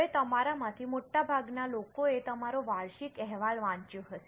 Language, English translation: Gujarati, Now most of you would have read your annual report